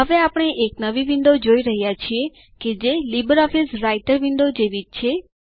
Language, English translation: Gujarati, We now see a new window which is similar to the LibreOffice Writer window